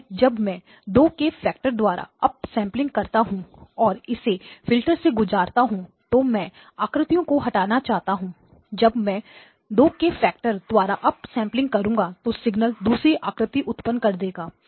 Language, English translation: Hindi, So when I up sample by a factor of 2 and I pass it through this filter G of z, I want to remove the image; when I do the up sampling by a factor of 2 the signal will produce another image